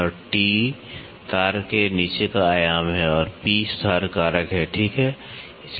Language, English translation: Hindi, And, T is the dimension under the wire and P is the correction factor, ok